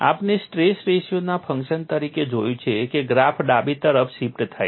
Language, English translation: Gujarati, We have seen as a function of stress ratio the graph get shifted to the left